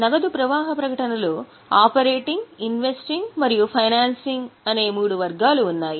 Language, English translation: Telugu, So, cash flow statement had three categories operating, investing and financing